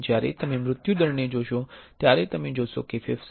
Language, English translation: Gujarati, When you look at the mortality ratio you will see that lung cancer 18